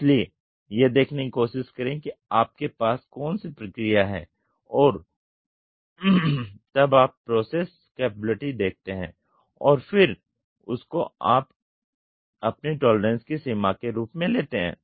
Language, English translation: Hindi, So, try to see what process you have and you see the process capability and try to give that as your tolerance limit